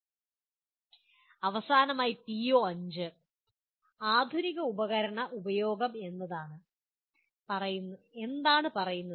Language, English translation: Malayalam, Finally, the PO4 the modern tool usage what does it say